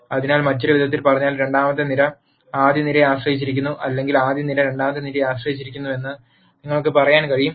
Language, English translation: Malayalam, So, in other words the second column is dependent on the rst column or you could say the rst column is dependent on the second column